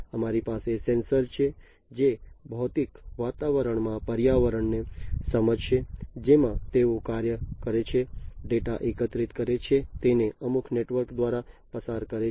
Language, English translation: Gujarati, So, we have over here, we have sensors, which will sense the environment in the physical environment in which they operate, collect the data pass it, through some network